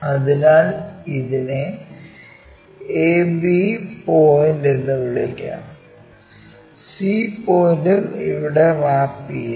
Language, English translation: Malayalam, So, let us call this is a, b point also map there, c point also maps there